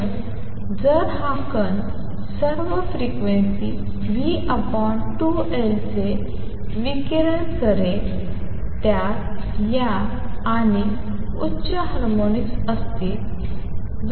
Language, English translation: Marathi, So, if this particle what to radiate it will contain all these frequencies v over 2L and higher harmonics